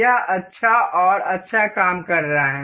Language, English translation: Hindi, It is working well and good